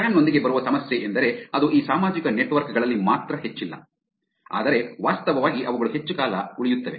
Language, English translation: Kannada, The problem with that comes with the spam is that it is not only high in these social networks, but there are actually they also stay for longer